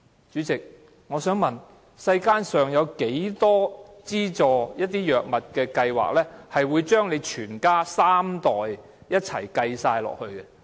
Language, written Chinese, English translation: Cantonese, 主席，我想問，世間上有多少資助藥物計劃會將三代人都計算在內？, How can I not feel ashamed? . President may I ask how many drug subsidy schemes in the world would include three generations in the calculation?